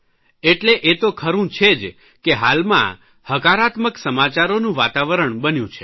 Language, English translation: Gujarati, So it is right to say that there is an atmosphere all around of positive news